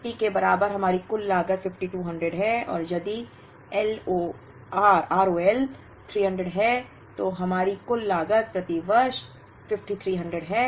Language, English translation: Hindi, If R O L is equal to 250, our total cost is 5200 and if R O L is 300, our total cost is 5300 per year